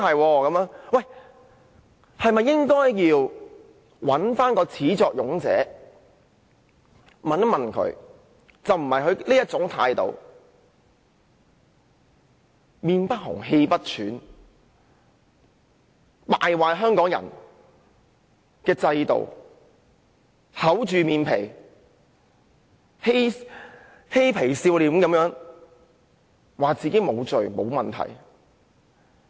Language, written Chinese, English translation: Cantonese, 我們是否應該向始作俑者查問，而不是讓他用這種臉不紅、氣不喘的態度，敗壞香港人的制度，厚着臉皮、嘻皮笑臉地說自己沒有罪、沒有問題。, Should we hold the culprit accountable? . We should not allow him to disrupt the system of Hong Kong in an unabashed and relaxed manner and to argue in a cheeky manner that he is innocent and has done nothing wrong